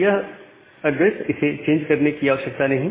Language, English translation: Hindi, So, that address do not need to change